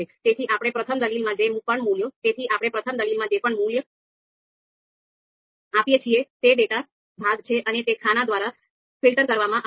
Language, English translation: Gujarati, So whatever values that we gave in the first argument that is the data part, so they are going to be filled by columns